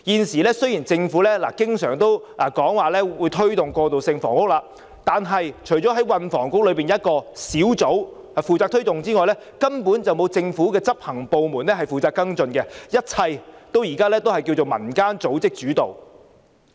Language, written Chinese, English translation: Cantonese, 雖然政府現時經常說會推動過渡性房屋，但除了運輸及房屋局轄下一個專責小組負責推動之外，根本沒有政府的執行部門負責跟進，一切都是以民間組織主導。, The Government is always saying that it will work on the provision of transitional housing . However besides a task force under the Transport and Housing Bureau to facilitate this no executive bodies of the Government are responsible for follow - up efforts . All efforts have been initiated by community organizations